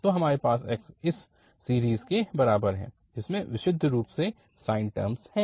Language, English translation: Hindi, So, we have the x equal to this series which is having purely sine terms